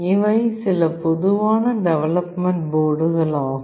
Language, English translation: Tamil, These are some common development boards